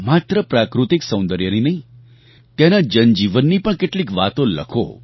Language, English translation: Gujarati, Write not only about architecture or natural beauty but write something about their daily life too